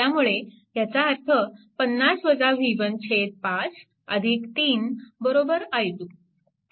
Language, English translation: Marathi, So, this will be your i 3